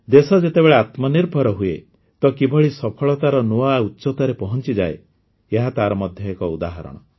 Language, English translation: Odia, When the country is selfreliant, how, it reaches new heights of success this is also an example of this